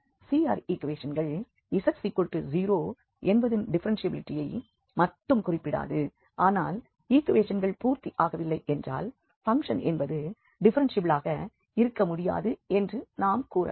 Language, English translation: Tamil, CR equations just not tell about differentiability of this z equal to 0 but if they are not satisfied if the equations are not satisfied, we can definitely conclude that the function is not differentiable